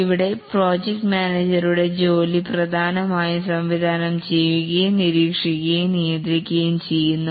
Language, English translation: Malayalam, And here the work of the project manager is largely directing and monitoring and control